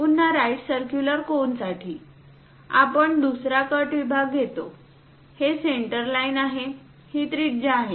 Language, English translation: Marathi, Again for a right circular cone; we take another cut section, this is the centerline, this is the radius